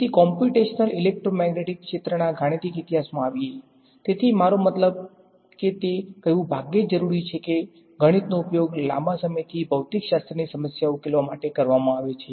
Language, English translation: Gujarati, So, coming to the mathematical history of the field of computational electromagnetic; so I mean it is hardly necessary to say that, math has been used for solving physics problems for a long time